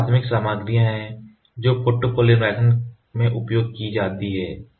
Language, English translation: Hindi, So, these are the primary materials which are used in photopolymerization